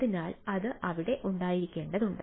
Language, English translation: Malayalam, right, so that are needs to be there